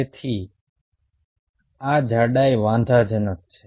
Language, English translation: Gujarati, that thickness is very important